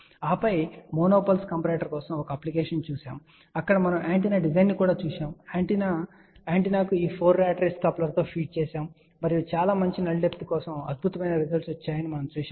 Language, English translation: Telugu, And then we saw an application for monopulse comparator, where we looked at an antenna design and then that antenna was fed with these 4 rat race coupler and we saw that fantastic results came for very good null depth ok